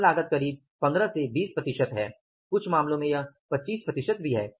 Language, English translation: Hindi, Labor cost is somewhere 15 to 20, even in some cases it is 25 percent also